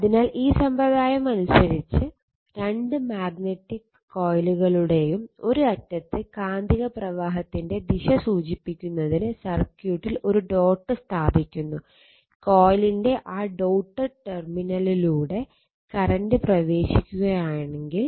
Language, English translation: Malayalam, So, by this convention a dot is placed in the circuit and one end of each of the 2 magnetically coils to indicate the direction of the magnetic flux, if current enters that dotted terminal of the coil right